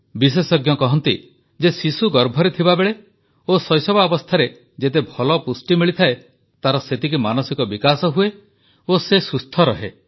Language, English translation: Odia, Experts are of the opinion that the better nutrition a child imbibes in the womb and during childhood, greater is the mental development and he/she remains healthy